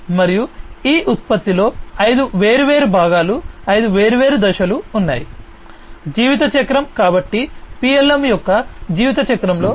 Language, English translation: Telugu, And there are five different parts, five different phases in this product lifecycle so in the lifecycle of PLM